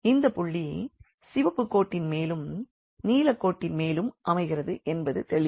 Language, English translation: Tamil, So, here clearly this point here lies on the red line and this point also lies on the blue line